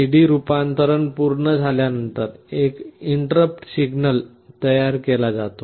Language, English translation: Marathi, After A/D conversion is completed an interrupt signal is generated